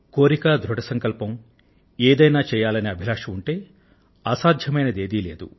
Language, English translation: Telugu, If one possesses the will & the determination, a firm resolve to achieve something, nothing is impossible